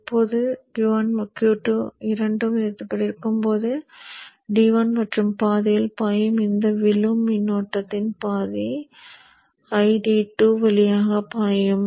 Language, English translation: Tamil, Now when both Q1 and Q2 are off, it is half of this falling current which will flow through ID1, the other half will flow through ID2